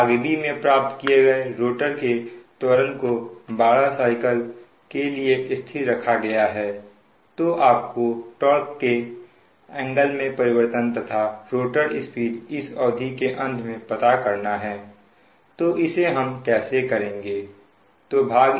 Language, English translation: Hindi, it is mentioned that if the rotor acceleration calculated in part b is maintained for twelve cycles, find the change in torque angle and the rotor speed in r, p, m at the end of this period